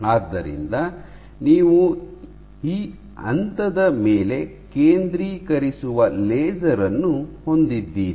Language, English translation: Kannada, So, you have a laser which focuses at this point